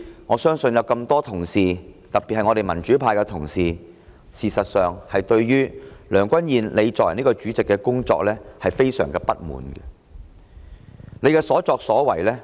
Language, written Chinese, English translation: Cantonese, 我相信眾多同事，特別是民主派的同事，對梁君彥作為主席感到非常不滿。, I believe that a lot of Honourable colleagues especially colleagues in the democratic camp are very dissatisfied with the presidency of Mr Andrew LEUNG